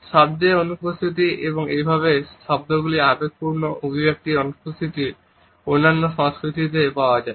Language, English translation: Bengali, The absence of words, and thus the absence of emotional expression of those words, is found in many other cultures